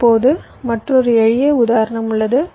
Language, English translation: Tamil, now there is another simple, small example